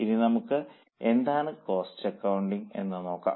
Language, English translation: Malayalam, Now this is a definition of cost accounting